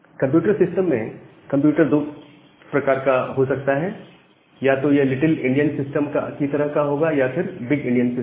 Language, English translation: Hindi, So, in a computer system, the computer can be of two type either it can be a little endian system or it can be a big endian system